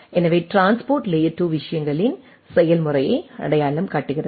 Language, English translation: Tamil, So, transport layer identifies the process of the 2 things